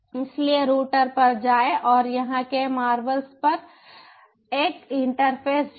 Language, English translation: Hindi, so go to the router and add interface at the marvels here